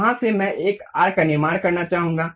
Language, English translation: Hindi, From there, I would like to really construct an arc